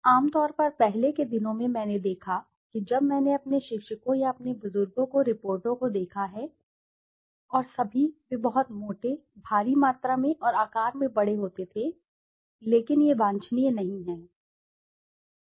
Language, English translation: Hindi, Generally earlier days i had used to see when I have seen my teachers or my elders the reports and all, they used to be very thick, heavy volumed and big in size, but that is not desirable